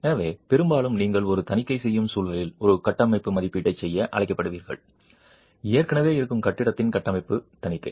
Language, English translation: Tamil, So, often you will be called to do a structural assessment in the context of doing an audit, a structural audit of an existing building